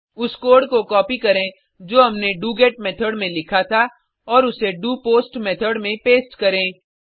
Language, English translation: Hindi, Copy the code we had written for doGet Method and paste in the doPost Method